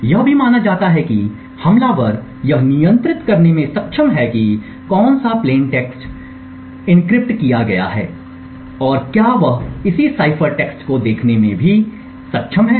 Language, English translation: Hindi, It is also assumed that the attacker is able to control what plain text gets encrypted and is also able to view the corresponding cipher text